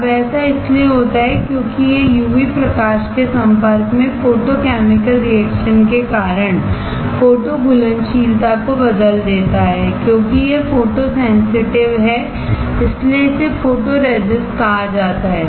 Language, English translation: Hindi, This example of your positive and negative photoresist Now, this happens because it changes the photo solubility due to photochemical reaction under the expose of UV light as this is photosensitive which is why it is called photoresist